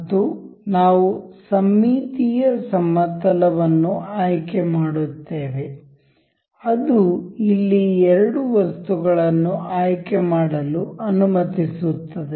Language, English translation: Kannada, And we will select the symmetric plane allows us to select two items over here